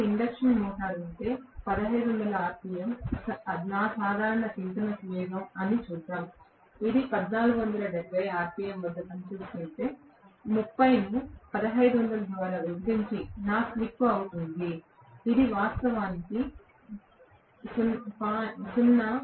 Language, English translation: Telugu, If I have the induction motor, let us see 1500 rpm is my normal synchronous speed, if it is working at 1470 rpm, 30 divided by 1500 is going to be my slip, which is actually 0